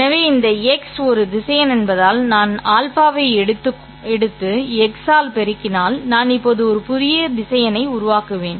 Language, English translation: Tamil, So this x being a vector, if I take alpha and multiply it by x, I will generate a new vector